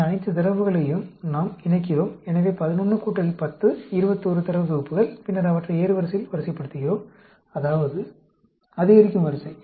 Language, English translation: Tamil, We combine all these data; so, 11 plus 10, 21 sets of data, and then, we arrange them in the ascending order; that means, increasing order